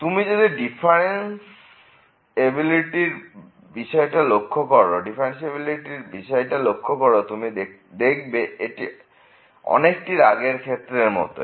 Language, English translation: Bengali, If you look at the differentiability is pretty similar to the earlier case